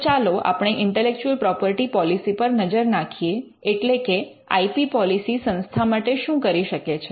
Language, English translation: Gujarati, Now, let us look at the intellectual property policy as to what an IP policy can do for an institution